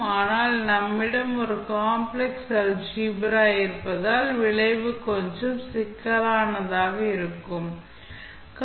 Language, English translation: Tamil, But since we have a complex Algebra involved, the result may be a little bit cumbersome